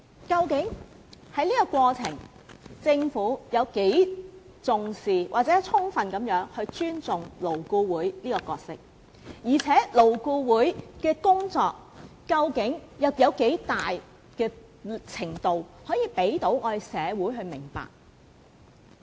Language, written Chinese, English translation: Cantonese, 究竟政府有多重視或有否充分尊重勞顧會這個角色，而勞顧會的工作究竟有多大程度可讓社會了解？, How much importance does the Government attach to LAB or how much respect does it have for the role of LAB? . To what extent society is allowed to understand the work of LAB?